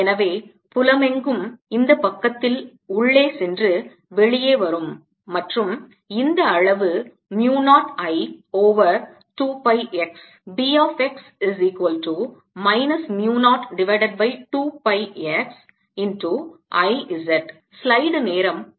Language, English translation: Tamil, so all over the field is going in, coming out on this side, and this magnitude is mu zero i over two pi x